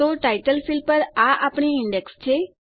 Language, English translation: Gujarati, So there is our index on the title field